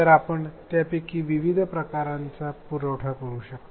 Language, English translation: Marathi, So, you can you can provide a variety of those